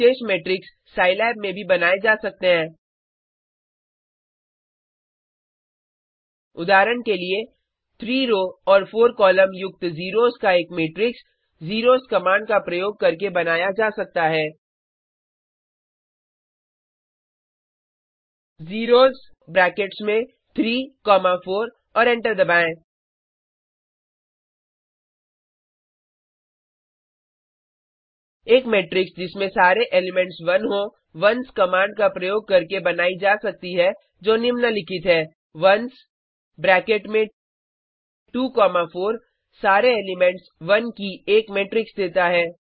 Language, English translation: Hindi, Certain special matrices can also be created in Scilab: For example a matrix of zeros with 3 rows and 4 columns can be created using zeros command zeros into bracket 3 comma 4 and press enter A matrix of all ones can be created with ones command as follows ones into bracket 2 comma 4 gives a matrix of all ones It is easy to create an identity matrix using the eye command: e y e of 4 comma 4 gives a 4 by 4 identity matrix A user may need a matrix consisting of pseudo random numbers